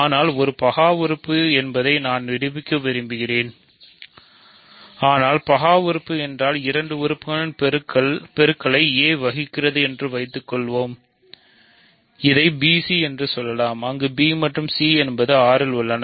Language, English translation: Tamil, So, we want to prove that a is prime, but if prime means so, suppose that a divides a product of two elements let us say b c, where b and c are in R